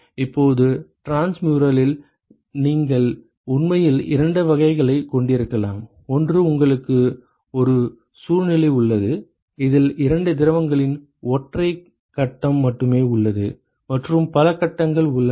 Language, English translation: Tamil, Now, in transmural you can actually have two types: one you have a situation, where only single phase of both the fluids are involved and one in which there is multiple phases